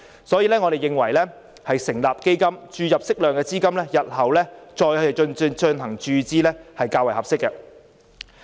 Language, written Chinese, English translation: Cantonese, 所以，我們認為政府應成立基金，注入適量資金後，日後再進行注資，是較為合適的做法。, Therefore we think that the Government should set up a fund . It should be more appropriate that an adequate amount of money be allocated to the fund now and more be allocated in the future